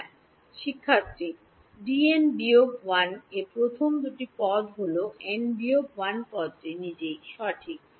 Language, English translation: Bengali, In D n minus 1 the first two terms are the n minus 1 term itself right